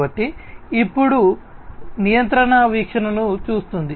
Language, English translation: Telugu, So, now looking at the control view